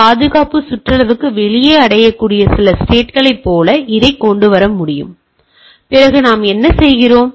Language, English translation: Tamil, It can be brought like some of the some of the reachable state outside the security perimeter then what we say